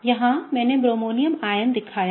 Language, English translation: Hindi, Here in, I have shown the bromonium ion